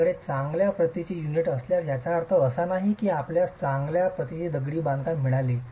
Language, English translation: Marathi, If you have good quality unit, it doesn't mean that you've got good quality masonry